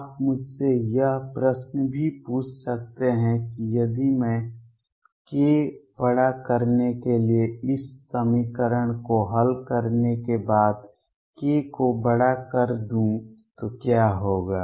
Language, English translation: Hindi, You may also ask me question what happens if I take k larger after I can solve this equation for k larger